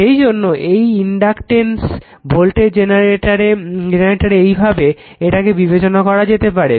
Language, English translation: Bengali, So, that is why it is inductance voltage generator this way you have to you consider it right